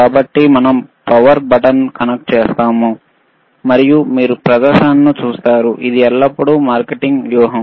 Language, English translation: Telugu, So, we are connecting the power button, and you will see the display, it is always a marketing strategy